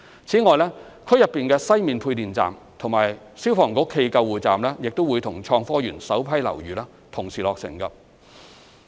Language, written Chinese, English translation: Cantonese, 此外，區內的西面配電站及消防局暨救護站亦會與創科園首批樓宇同時落成。, In addition the western electricity substation and a fire station and ambulance depot are scheduled to be completed at the same time when the first batch of buildings in HSITP are completed